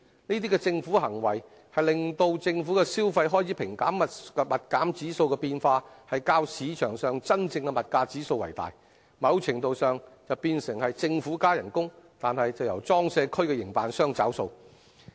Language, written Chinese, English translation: Cantonese, 這些政府行為會令政府消費開支平減指數變化較市場上的真正物價變化為大，某程度上變成政府加人工，但卻由裝卸區營辦商找數。, Such government actions will result in a larger range of movement of GCED than the actual price changes in the market and to a certain extent it can be said that PCWA operators are made to bear the consequences of the civil service pay rise